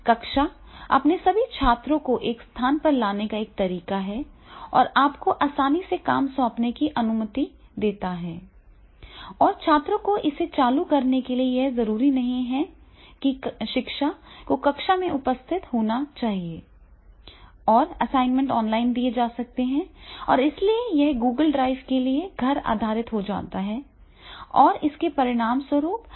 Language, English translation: Hindi, Classroom is a way to get all of your students in one place and allows you to easily assign work and for students to turn it in, so therefore it is not necessarily that is the teacher has to be present into the classroom and the assignments can be given online and therefore it becomes the home based for the Google drive and as a result of which easy access is there